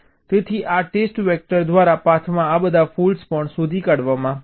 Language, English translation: Gujarati, so all this faults along the path will also be detected by this test vector